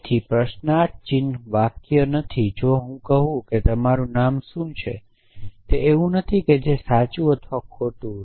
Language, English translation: Gujarati, So question marks are not sentences if I say what is your name, it is not something which is true or false